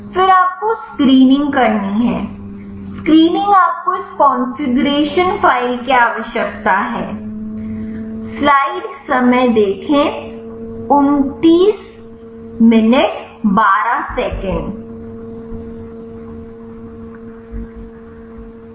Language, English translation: Hindi, Then you have to do screening, screening you need this configuration file